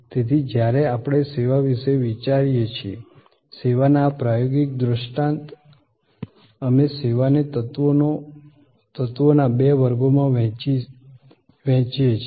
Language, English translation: Gujarati, Therefore, when we think of service, this experiential paradigm of service, we divide the service into two classes of elements